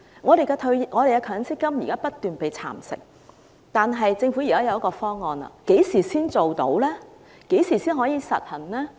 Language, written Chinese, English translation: Cantonese, 我們的強積金現在不斷被蠶食，現在政府提出了方案，但何時才能落實？, In the meantime our MPF contributions are being eroded incessantly . Now that the Government has put forward a proposal but when will it be implemented?